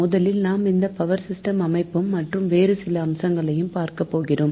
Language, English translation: Tamil, initially we will discuss about structure of power systems and few other aspects, right